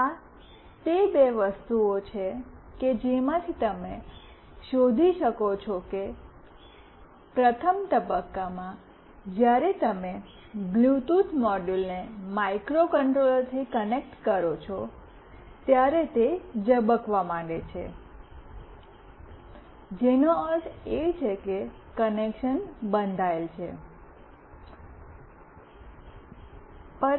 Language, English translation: Gujarati, These are the two things from which you can find out that in the first phase when you just connect the Bluetooth module with microcontroller, when it starts blinking that mean the connection is built